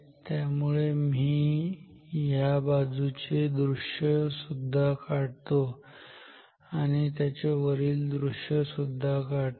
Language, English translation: Marathi, So, let me also draw the so this is the side view let me also draw the top view